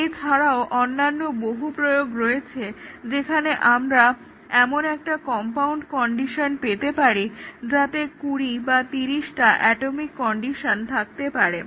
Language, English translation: Bengali, And, there are also many other applications, where we can have a compound condition involving twenty or thirty atomic conditions